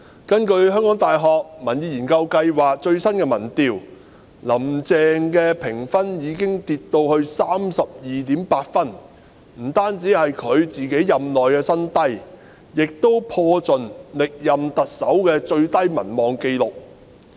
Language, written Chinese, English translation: Cantonese, 根據香港大學民意研究計劃的最新民調，"林鄭"評分已經下跌至 32.8 分，不僅是她任內新低，也破盡歷任特首民望最低的紀錄。, According to the latest opinion poll conducted by the Public Opinion Programme of the University of Hong Kong HKU Carrie LAMs support rating has dropped to 32.8 which is not only a new low in her term but also a record low compared to the former Chief Executives as the lowest score of TUNG Chee - hwa was 36.2 whereas that of LEUNG Chun - ying was 37